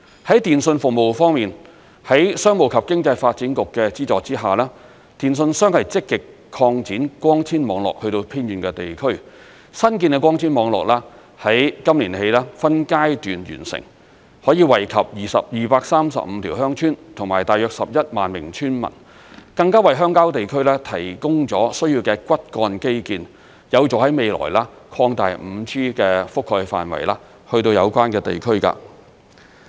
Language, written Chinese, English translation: Cantonese, 在電訊服務方面，在商務及經濟發展局的資助下，電訊商積極擴展光纖網絡至偏遠地區，新建的光纖網絡於今年起分階段完成，可以惠及235條鄉村及大約11萬名村民，更加為鄉郊地區提供了需要的骨幹基建，有助未來擴大 5G 的覆蓋範圍至有關地區。, On telecommunications services telecommunications operators have been actively extending under the subsidy of the Commerce and Economic Development Bureau their fibre - based networks to remote districts . New fibre - based networks will be completed in phases this year benefiting 235 villages and about 110 000 villagers . These networks will also serve as the necessary backbone infrastructure for the extension of 5G coverage to these remote villages in the future